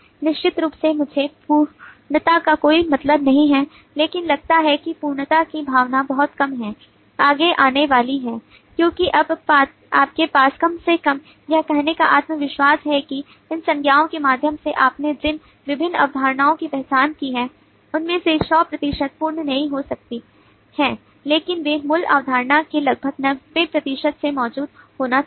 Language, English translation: Hindi, sense of completeness is coming to forth because now you have at least some confidence to say that well, of the different concepts that you have identified through this, nouns may not be 100 percent complete, but they must follow from about 90 percent of the basic concept that exist